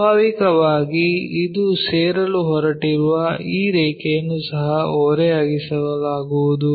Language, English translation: Kannada, So, naturally this line whatever it is going to join that will also be inclined